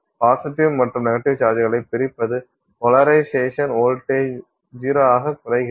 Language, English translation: Tamil, That separation of positive and negative charges is polarization, voltage drops to zero, the separation also drops to zero